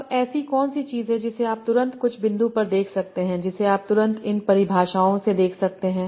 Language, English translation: Hindi, Now what is something that you can immediately, some point that you can immediately see from these definitions